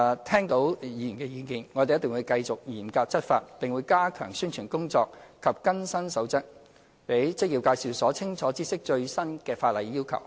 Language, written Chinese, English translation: Cantonese, 聽到議員的意見後，我們定會繼續嚴格執法，並會加強宣傳工作及更新《守則》，讓職業介紹所清楚知悉最新的法例要求。, After listening to Members views we will continue to rigorously enforce the law stepping up our efforts in publicity and updates of the Code and keeping employment agencies clearly informed of the latest legal requirements